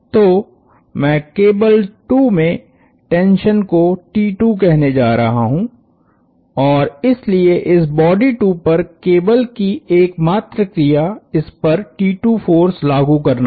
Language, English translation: Hindi, So, I am going to call the tension in the cable 2 as T 2 and so the only action that the cable has on this body 2 is to exert a force T 2 on the body 2